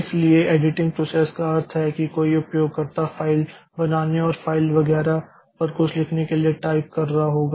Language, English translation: Hindi, So, editing process means the user will be typing some making some text file and writing something onto the text file etc